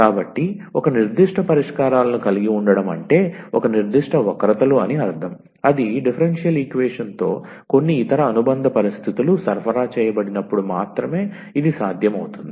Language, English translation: Telugu, So, but having a particular solutions means a particular curves, so that is possible only when some other supplementary conditions are supplied with the differential equation